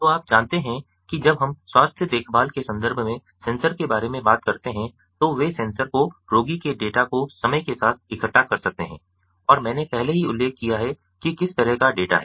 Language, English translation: Hindi, so you know, when we talk about the sensors the sensors in the context of health care, the sensors, they can collect the patient data over time, and i have already mentioned what kind of data